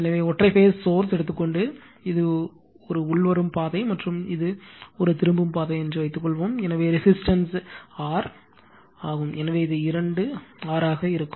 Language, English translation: Tamil, Therefore, suppose if you take a single phase source and suppose this is incoming path and this is return path, so resistance is R and R, so it will be two R right